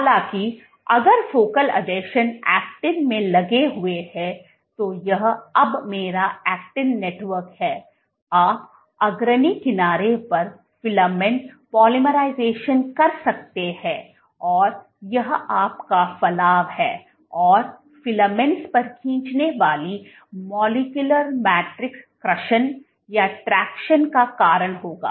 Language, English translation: Hindi, However, if the focal adhesions are engaged, if the focal adhesions are engaged to the actin, this is my actin network now, you can have filament polymerization at the leading edge, this is your protrusion and the myosin motors pulling on the filaments will cause traction at the base